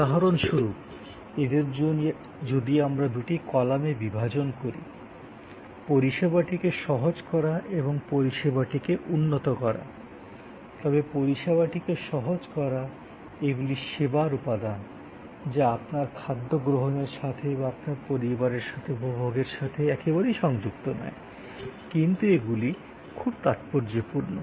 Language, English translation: Bengali, So, let say for example, facilitating service and enhancing services if we divide in two columns, then on the facilitating service, these are services, these are service elements, which are not exactly connected to your consumption of food or your enjoyment with your family, but these are very important